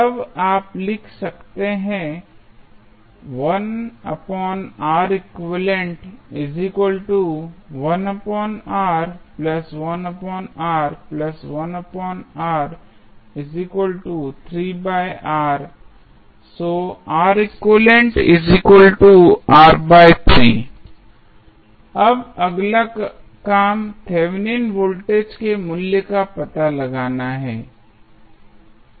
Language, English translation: Hindi, Now, next task is to find out the value of Thevenin voltage